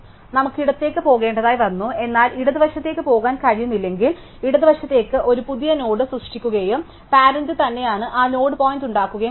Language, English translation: Malayalam, If we have to go left and we cannot go left, then we create a new node to are left and we make that node point here by it is parents